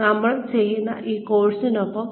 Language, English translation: Malayalam, Now, with the course, that we are doing now